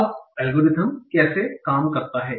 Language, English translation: Hindi, Now how does the algorithm work